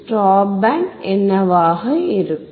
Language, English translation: Tamil, What will be a stop band